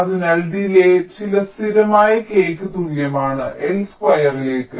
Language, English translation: Malayalam, so lets say the delay is equal to some constant k into l square